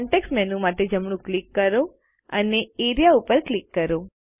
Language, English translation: Gujarati, Right click for the context menu and click Area